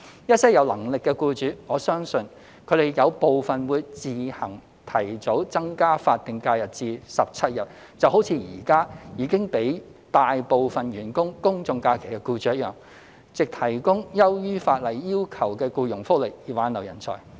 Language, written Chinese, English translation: Cantonese, 一些有能力的僱主，我相信他們有部分會自行提早增加法定假日至17日，就好像現時已經給予大部分員工公眾假期的僱主一樣，藉提供優於法例要求的僱傭福利以挽留人才。, I am convinced that some of the more able employers will act ahead of schedule to increase the number of SHs to 17 days on their own accord just like those currently granting SHs to most of their staff so as to retain talents by offering employment benefits which are more favourable than the statutory requirements